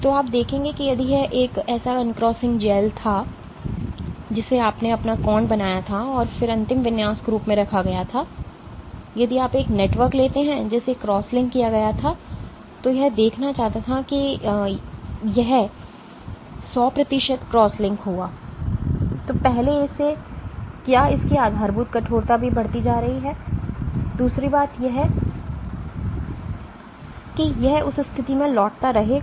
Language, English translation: Hindi, So, you will see that if it was an uncrossing gel that you made your angle evolves and then stays put as the final configuration, but if you take a network which was cross linked wanting to see that if it was 100 percent crosslinked, first it will even its basal stiffness will be increasing, the other thing is it will keep on returning to the same position